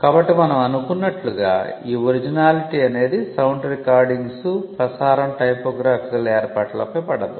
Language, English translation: Telugu, So, the originality requirement as we just mentioned does not fall on sound recordings broadcast typographical arrangements